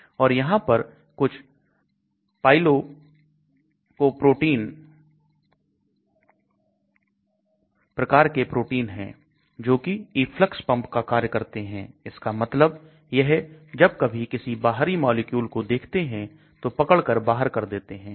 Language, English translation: Hindi, And there is sort of Pgylcoprotein type of proteins which act as a effluxing pump, that means if they see any foreign molecule they capture it and throw it away